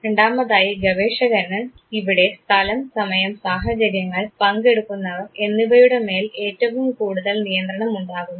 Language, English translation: Malayalam, And the second that the researcher has a big control over, place, time, circumstances, and participants